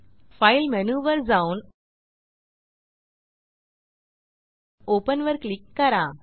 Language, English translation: Marathi, I will go to file menu amp click on open